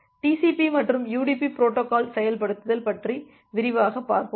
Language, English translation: Tamil, We will talk about the TCP and UDP protocol implementation in details